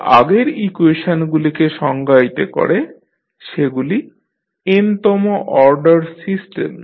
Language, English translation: Bengali, Which define the previous equation are the state variables of the nth order system